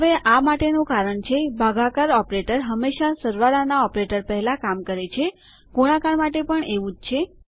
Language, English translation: Gujarati, Now, the reason for this is that division operator will always work before addition operator